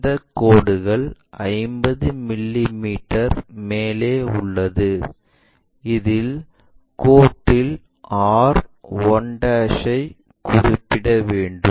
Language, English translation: Tamil, Let us call this is at 50 mm above on this, we are going to locate r 1' and other lines